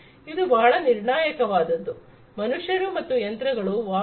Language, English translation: Kannada, This is very critical, humans and machines interacting